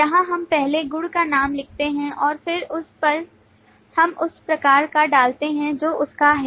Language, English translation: Hindi, Here we first write the property name and then we put the type of which it belongs